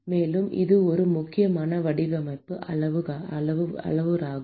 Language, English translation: Tamil, And this is an important design parameter